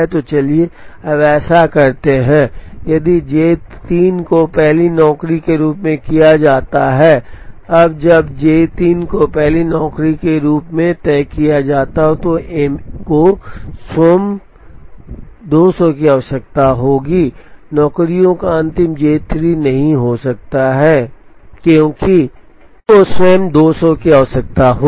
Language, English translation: Hindi, So, let us now do that, if J 3 is fixed as the first job, now when J 3 is fixed as the first job, M 1 by itself will require 200